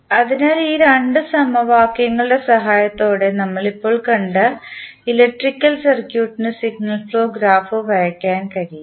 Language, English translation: Malayalam, So, in this way with the help of these two equations, we can draw the signal flow graph of the electrical circuit which we just saw